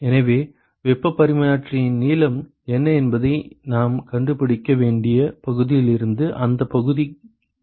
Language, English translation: Tamil, So, the area will tell me from area we should be able to find out what is the length of the heat exchanger